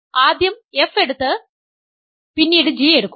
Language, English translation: Malayalam, So, first take f and then take g